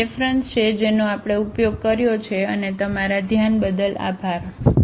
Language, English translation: Gujarati, So, these are the references we have used and thank you for your attention